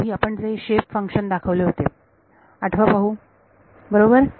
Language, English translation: Marathi, Remember the shape function that we had shown in the very beginning, right